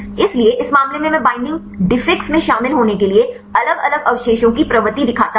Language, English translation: Hindi, So, in this case I show the propensity of different residues to be involved at the binding defix